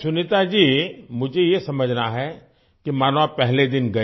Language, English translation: Hindi, Sunita ji, I want to understand that right since you went there on the first day